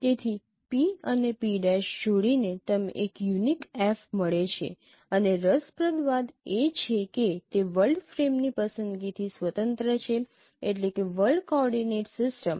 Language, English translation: Gujarati, So given a pair of P and P prime you get an unique F and the interesting part is that it is independent of choice of world frame means world coordinate system